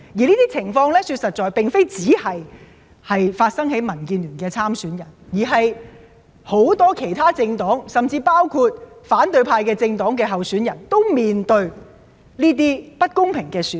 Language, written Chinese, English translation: Cantonese, 這些情況並不是只發生在民建聯的參選人身上，而是很多政黨，甚至是包括反對派政黨的候選人，均面對着這種不公平的對待。, These situations have not only happened to DAB candidates but also to many political parties including candidates of some political parties from the opposition camp . All of them have also been treated unfairly